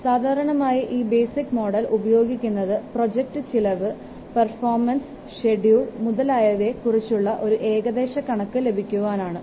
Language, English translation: Malayalam, Normally this basic model is used for early rough estimates of project cost, performance and schedule